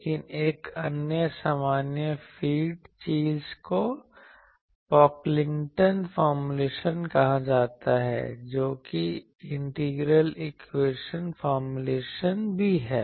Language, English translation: Hindi, But another general feed thing that is called Pocklington’s formulation that is also integral equation formulation